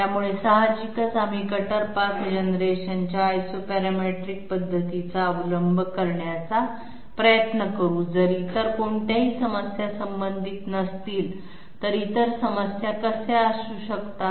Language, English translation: Marathi, So obviously we would always try to resort to Isoparametric method of cutter path generation if there are no other problems associated, what can be the other problems associated